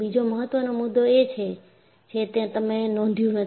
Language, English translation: Gujarati, And, there is another important point, which you have not noticed